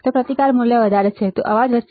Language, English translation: Gujarati, If the resistance value is higher, noise will increase